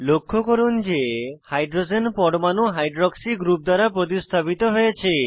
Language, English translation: Bengali, Observe that the hydrogen atom is replaced by hydroxy group